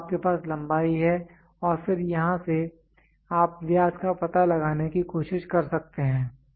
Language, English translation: Hindi, So, you have length and then from here you can try to find out the diameter